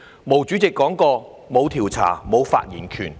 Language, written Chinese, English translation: Cantonese, 毛主席說過："沒有調查，沒有發言權。, Chairman MAO said No investigation no right to speak